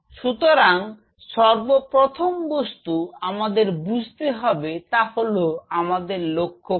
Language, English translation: Bengali, So, first and foremost thing what has to be understood is what is the objective